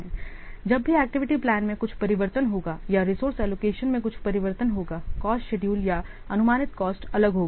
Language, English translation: Hindi, So, whenever there will be some change in the activity plan or some change in the resource allocation, the cost schedule or the estimated cost will be different